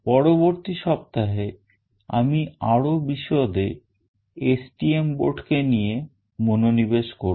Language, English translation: Bengali, In the subsequent week I will be focusing on the STM board in more details